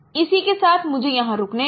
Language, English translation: Hindi, With this, you know, let me stop here